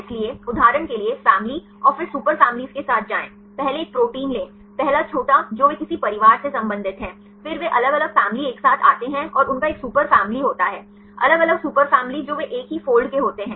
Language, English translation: Hindi, So, go with the family and then super family for example, take a protein right first the small one they belong to some family, then different families they come close together and they have a super family, that different super families they belong to same fold